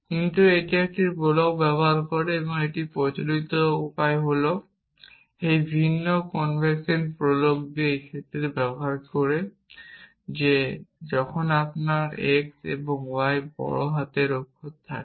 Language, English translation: Bengali, But that is a convention way using prolog is this the different convention prolog uses the case that when you have x and y uppercase letters then it is a variable